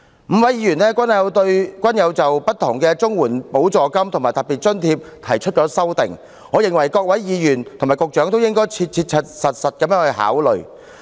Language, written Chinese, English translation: Cantonese, 五位議員的修正案均提及不同的綜援補助金和特別津貼，我認為各位議員和局長應切實考慮他們的建議。, The amendments proposed by the five Members have mentioned different CSSA supplements and special grants . In my view Members and the Secretary should practically consider their proposals